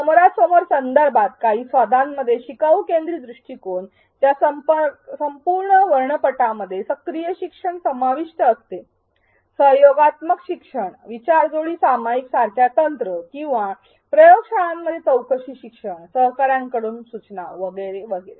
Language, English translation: Marathi, In face to face context some of the flavors the entire spectrum of a leaner centric approach includes active learning, collaborative learning, techniques like think pair share or inquiry learning in labs peer instruction and so on